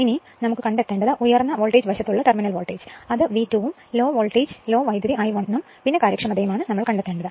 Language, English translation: Malayalam, So, we have to find out the terminal voltage on high voltage side that is V 2 then low voltage low current that is I 1 and the efficiency right so, that is the that we have to find it out